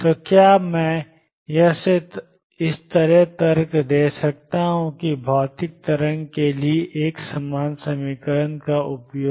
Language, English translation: Hindi, So, can I argue from here that a similar equation access for material waves